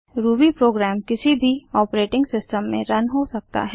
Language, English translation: Hindi, Ruby program runs in any operating system